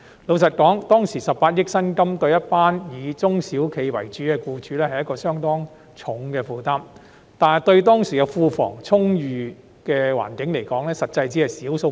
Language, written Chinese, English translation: Cantonese, 坦白說，當時18億元的薪金，對中小型企業的僱主而言，是相當沉重的負擔，但對當時庫房充裕的政府而言，卻只是小數目。, Frankly speaking a wage cost of 1.8 billion was a heavy burden for employers of small and medium enterprises SMEs at that time but it was a small amount to the Government given its abundant fiscal reserves at that time